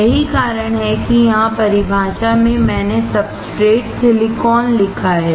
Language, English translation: Hindi, That is why here in the definition, I have written substrate